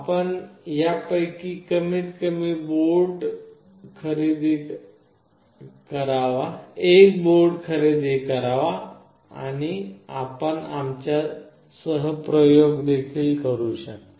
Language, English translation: Marathi, You should go ahead and purchase at least one of these boards and you can do the experiments along with us